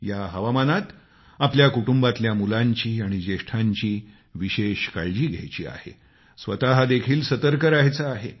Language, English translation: Marathi, In this weather, we must take care of the children and elders in the family, especially the ailing and take precautions ourselves too